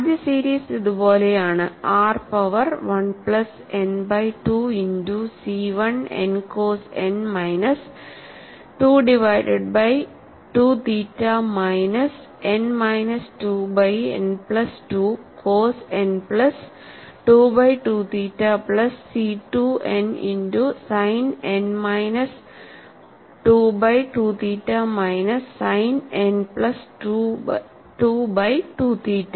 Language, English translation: Malayalam, And the first series is like this, r power 1 plus n by 2 multiplied by c 1 n cos n minus 2 divided by 2 theta minus n minus 2 by n plus 2 cos n plus 2 by 2 theta plus C 2 n multiplied by sin n minus 2 by 2 theta minus sin n plus 2 by 2 theta